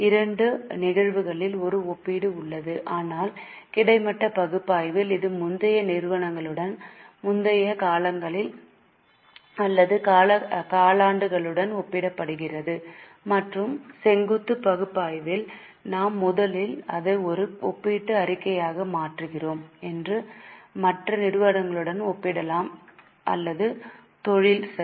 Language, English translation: Tamil, In both the cases there is a comparison but in horizontal analysis it is comparing for the same company with earlier periods, earlier years or quarters and in vertical analysis we first convert it into a comparative statement and we can compare with other companies or also with the industry